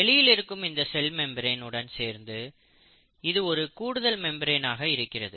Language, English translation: Tamil, So it is like an addition to the cell membrane which is the outermost membrane